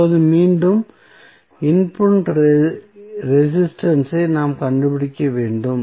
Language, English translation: Tamil, Now, again, we have to find the input resistance